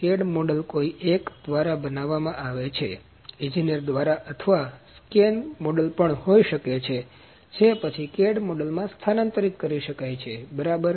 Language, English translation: Gujarati, The cad model can be produced by someone, by the engineer or it can be even scanned model which can be then transferred into the cad model, ok